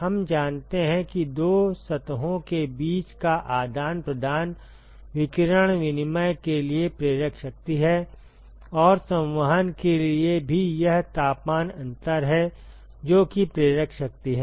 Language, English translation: Hindi, We know that the exchange between the two surfaces is the driving force for radiation exchange and for convection also it is the temperature difference, which is the driving force